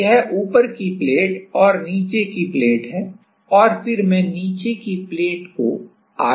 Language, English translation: Hindi, So, this is the top plate and this is the bottom plate and then I am moving the bottom plate